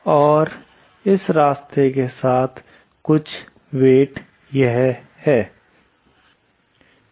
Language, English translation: Hindi, And along this path, the total weight is this